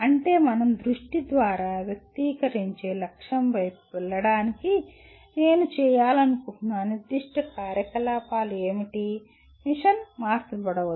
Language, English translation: Telugu, That means what are the specific activities that I want to do to go towards the goal that we express through vision, the mission may get altered